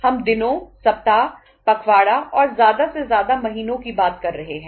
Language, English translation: Hindi, We are talking about say days, weeks, fortnights and maximum months